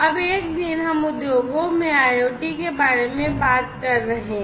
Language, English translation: Hindi, So, industries so, nowadays, we are talking about IoT